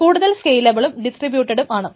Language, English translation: Malayalam, So this has to be more scalable and distributed